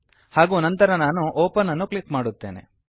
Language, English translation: Kannada, and then I will click on open